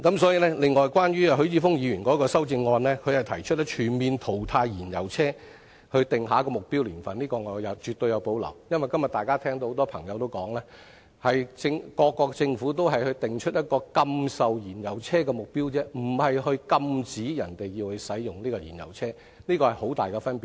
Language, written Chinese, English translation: Cantonese, 此外，關於許智峯議員的修正案，他提議就全面淘汰燃油車定下目標年份，這建議我絕對有所保留，因為大家今天也聽到很多朋友說，各國政府都只是訂定禁售燃油車的目標而已，而不是禁止人們使用燃油車，這是很大的分別。, Mr HUI Chi - fungs amendment proposes the setting of a target year for phasing out fuel - engined vehicles completely . I absolutely have reservation about this proposal . As many Members have said governments of overseas countries have set targets for the prohibition of sale of fuel - engined vehicles only and there is no ban on their use